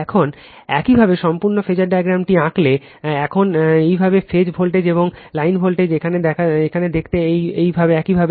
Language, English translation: Bengali, Now, if you draw the complete phasor diagram now your phase voltage and line voltage now look into this your right